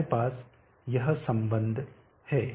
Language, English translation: Hindi, 105 we have this relationship